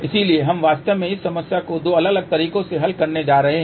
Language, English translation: Hindi, So, we are going to actually solve this problem in two different approaches